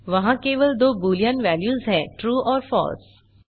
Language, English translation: Hindi, There are only two boolean values: true and false